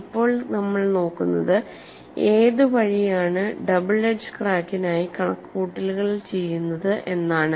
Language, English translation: Malayalam, Now we will look at the calculation for a double edge crack